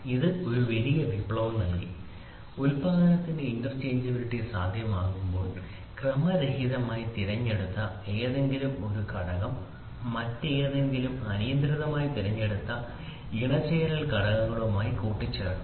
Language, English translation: Malayalam, This gave a big revolution, when interchangeability of manufacturing is adopted, any one component selected at random should assemble with another with any other arbitrary chosen mating component